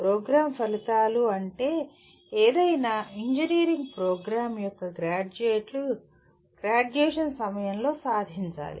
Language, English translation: Telugu, Program outcomes are what graduates of any engineering program should attain at the time of graduation